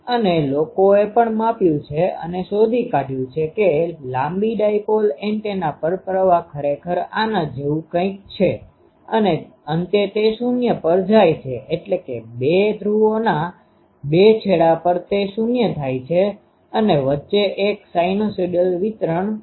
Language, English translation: Gujarati, And, people have also measured and found that the current on a long dipole antenna that is indeed something like this that at the end it goes to 0, at the 2 ends of the 2 poles it goes to 0 and in between there is a sinusoidal distribution